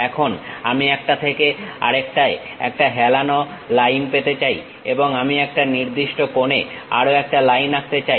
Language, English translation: Bengali, Now, I would like to have an inclined line from one to other and I would like to draw one more line with certain angle